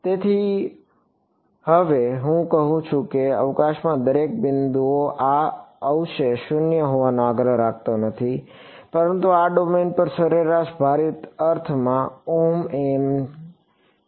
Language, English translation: Gujarati, So, now, I am saying I am not insisting that this residual be 0 at every point in space, but in an average weighted sense over this domain omega m enforce it to 0 ok